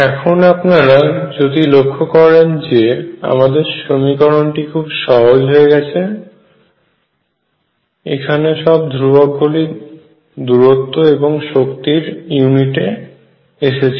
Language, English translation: Bengali, Now you see this equation looks very simple all these constants have been taken into the units of distance and energy